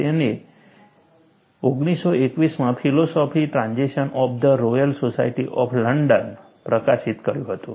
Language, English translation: Gujarati, He published in 1921, in the Philosophical Transactions of the Royal Society of London